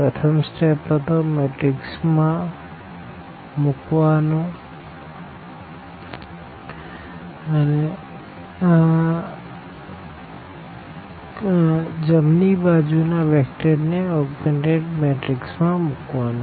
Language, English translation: Gujarati, So, the first step was putting into this your matrix and the right hand side vector into this augmented matrix